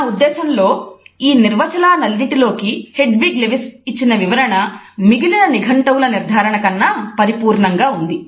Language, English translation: Telugu, In all these definitions I think that the definition by Hedwig Lewis is by far more complete than the other dictionary definitions